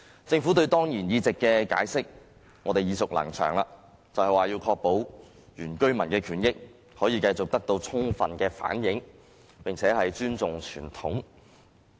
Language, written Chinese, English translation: Cantonese, 政府就當然議席的解釋，我們已經耳熟能詳，就是要確保原居民的權益可以繼續得到充分的反映，以及尊重傳統。, The Governments explanation for ex - officio seats has become a well - heard remark that is to ensure continuous full reflection of the rights of the indigenous residents and respect of traditions